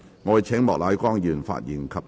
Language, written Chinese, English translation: Cantonese, 我請莫乃光議員發言及動議議案。, I call upon Mr Charles Peter MOK to speak and move the motion